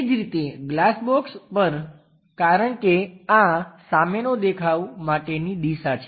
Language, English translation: Gujarati, Similarly on the glass box because, this is the front view kind of direction